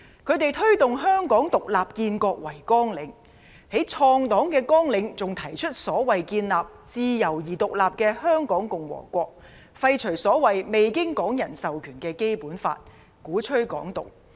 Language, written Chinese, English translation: Cantonese, 他們以推動香港"獨立建國"為綱領，在創黨綱領還提出所謂的建立自由而獨立的香港共和國、廢除所謂未經港人授權的《基本法》，鼓吹"港獨"。, They promote the independence and nation - building of Hong Kong as their agenda and further propose in their founding manifesto establishing a free and independent Republic of Hong Kong abolishing the Basic Law which is not mandated by Hong Kong people and advocating Hong Kong independence